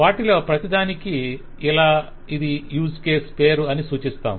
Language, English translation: Telugu, So for each one of them we specify that this is the use case name